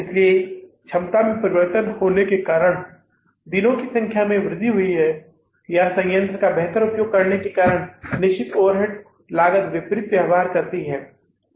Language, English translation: Hindi, So that change in the capacity because of increased number of days or because of the better utilization of the plant, fixed overhead cost behaves inversely